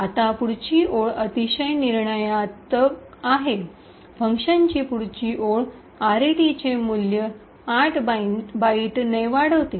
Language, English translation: Marathi, Now the next line is very crucial the next line of function increments the value of RET by 8 bytes